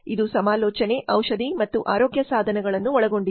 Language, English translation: Kannada, It covers consultation, medicine and health equipment